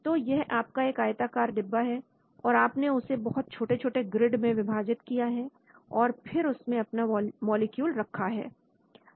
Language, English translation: Hindi, So this could be your rectangular box and then you divide it into small, small grids and then you place your molecule inside